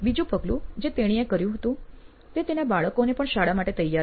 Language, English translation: Gujarati, The second step that, she did was to get her kids ready for school as well